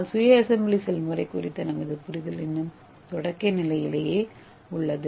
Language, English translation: Tamil, But our understanding is of self assembly is still in the elementary level